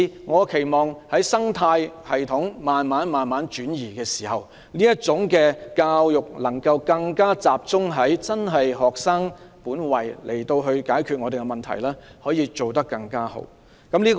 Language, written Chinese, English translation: Cantonese, 我期望隨着生態系統慢慢轉移，教師能夠更集中在學生身上，更妥善解決各種教育問題。, I hope that with the gradual changes of the ecology teachers can focus more on students and better address various education problems